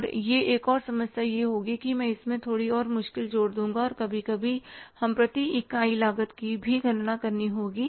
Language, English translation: Hindi, And that one more problem will be that I will add up little more wrinkle into that and there sometimes we will have to calculate the per unit cost also